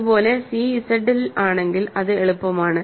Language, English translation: Malayalam, Similarly, if c is in Z that is easy